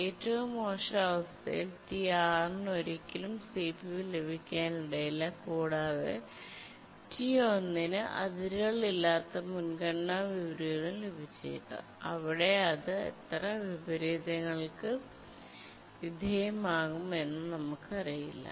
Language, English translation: Malayalam, So, the task T1 has undergone multiple priority inversion and in the worst case, T6 may never get CPU and T1 may get unbounded priority inversion where we don't know how many inversions it will undergo